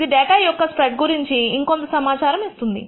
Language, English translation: Telugu, This gives you a little more information about the spread of the data